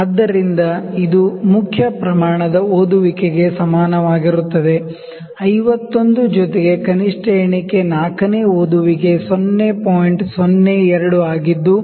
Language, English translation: Kannada, So, which is equal to main scale reading is 51 plus least count is 0